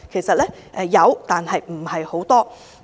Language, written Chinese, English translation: Cantonese, 當然有，但為數不多。, Certainly there are but not many